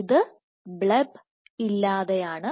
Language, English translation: Malayalam, So, this is without bleb